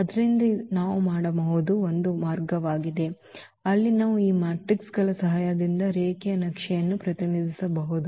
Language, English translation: Kannada, So, this is one way where we can, where we can represent a linear map with the help of this matrices